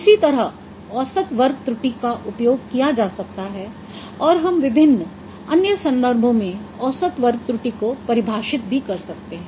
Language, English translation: Hindi, So, similar main square error, error could be, similarly we can define mean square error in various other contexts